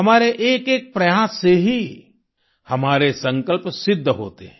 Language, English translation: Hindi, Every single effort of ours leads to the realization of our resolve